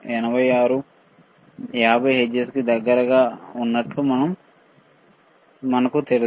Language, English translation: Telugu, 86 close to 50 hertz, right